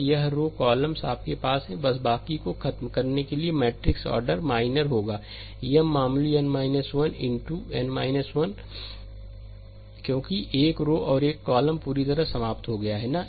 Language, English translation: Hindi, So, this rows columns you have to you have to just eliminate ah rest the matrix order minor will be M minor your n minus 1 into n minus 1, because one row and one column is completely eliminated, right